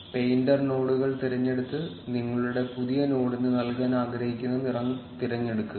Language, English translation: Malayalam, Select painter nodes and select the color, which you want to color your new node